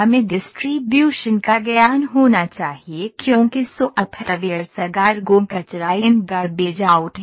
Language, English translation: Hindi, So, we should have the knowledge of the distribution as I said the software’s are GIGO Garbage In Garbage Out